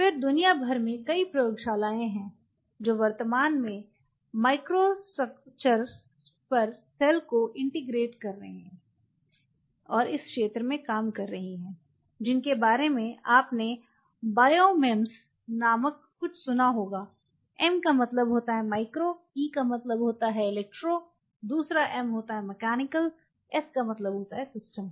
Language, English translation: Hindi, Then there are several labs across the world who are currently working in the area of integrating cell on microstructures, which you must have heard something called Biomems M stands for micro, E stands for electro, the second M is mechanical, S stand for system